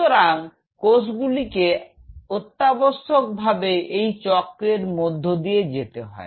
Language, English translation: Bengali, So, cell essentially goes through this cycle